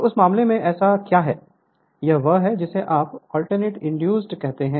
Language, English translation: Hindi, So, in that case what so, this is your what you call that alternating your emf induced right